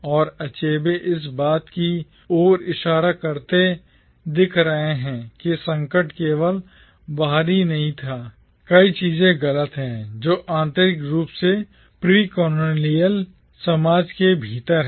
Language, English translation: Hindi, And Achebe seems to be pointing out that the crisis was not merely external, there are many things wrong internally also within the precolonial society